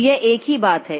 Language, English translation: Hindi, So, this is the same thing